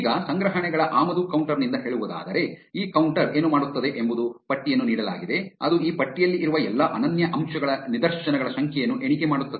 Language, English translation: Kannada, Now, say from collections import counter, what this counter does is given a list it will count the number of instances of all the unique elements present in this list